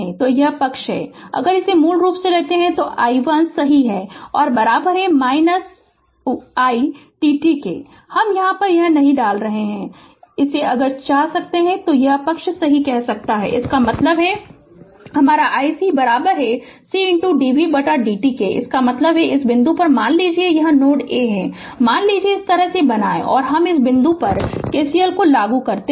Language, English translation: Hindi, And this side if we take this is your basically i 1 right is equal to minus of i t, t I am not putting here, if you want you can and this side you say i c right; that means, my i c is equal to c into d v by d t right; that means, at this point suppose this node is A, suppose you create like this and I apply KCL at this point